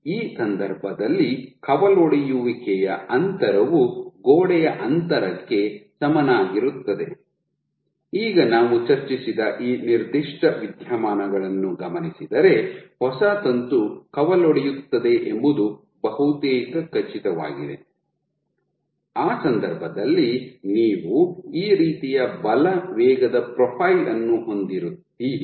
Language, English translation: Kannada, So, in this case the branching distance is exactly the same as the wall distance, now given this particular phenomena that we just discussed you are almost sure that a new filament will branch, in that case it turns out your you will have a force velocity profile it will start from here and will have a force velocity profile like this